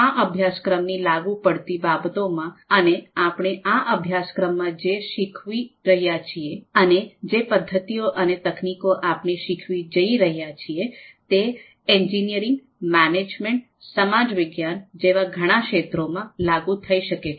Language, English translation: Gujarati, So in terms of applicability of this particular course and whatever we are going to learn in this course and the methods and techniques that we are going to learn, they can be applied in a number of engineering, management, social science fields